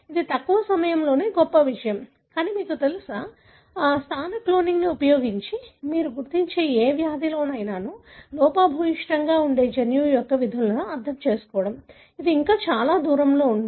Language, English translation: Telugu, It is a remarkable achievement in short time, but, you know, still, you know, understanding the functions of the gene that are defective in any disease that you identify using positional cloning, that is still a long way to go